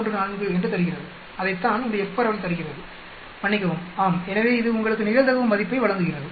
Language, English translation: Tamil, 10914, that is what this F distribution gives, sorry, yeah so it gives you the probability value